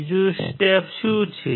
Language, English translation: Gujarati, What is the second step